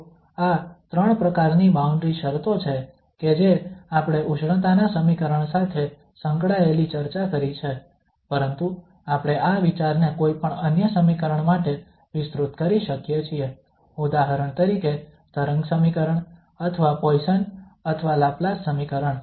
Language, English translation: Gujarati, So these are the 3 types of boundary conditions we have discussed, associated with heat equation but we can extend this idea for any other equation, for example wave equation, or the Poisson or Laplace equation